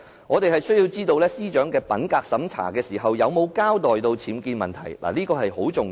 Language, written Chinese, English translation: Cantonese, 我們需要知道司長在品格審查中有沒有交代其物業僭建的問題，這點十分重要。, It is very important for us to find out whether the Secretary for Justice had come clean about the UBWs in her property during the integrity check